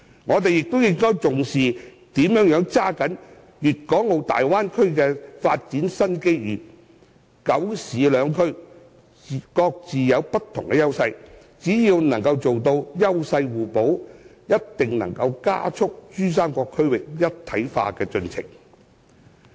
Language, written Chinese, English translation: Cantonese, 我們亦應重視如何抓緊粵港澳大灣區的發展新機遇，"九市兩區"各有不同優勢，只要做到優勢互補，定能加快珠三角區域一體化的進程。, We should also attach importance to ways of seizing new development opportunities in the Guangdong - Hong Kong - Macao Bay Area . With the respective advantages enjoyed by the nine cities and two regions regional integration in the Pearl River Delta can be accelerated as long as complementarity is achieved